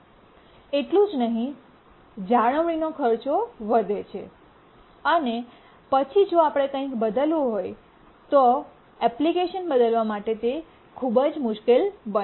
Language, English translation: Gujarati, And not only that, maintenance cost increases later even to change something, becomes very difficult to change the application